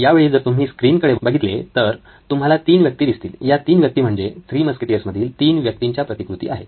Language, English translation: Marathi, If you look at the screen right now you can see 3 figures, these are Lego figures of these 3 people from the Three Musketeers